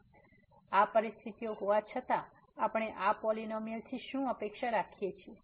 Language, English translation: Gujarati, So, having these conditions what do we expect from such a polynomial